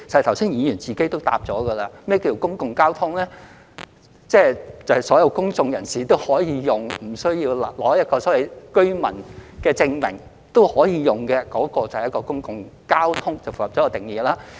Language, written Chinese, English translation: Cantonese, 剛才議員已自行回答何謂公共交通，即所有公眾人士均可使用，而不需要擁有居民證明都可以使用的，便符合公共交通的定義。, Earlier Members have already answered what public transport means and that is any transport that can be used by all members of the public without the need to possess a residents identification document falls within the definition of public transport